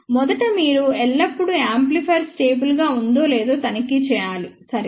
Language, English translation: Telugu, First of all you must always check whether the amplifier is stable or not, ok